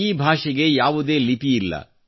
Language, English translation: Kannada, This language does not have a script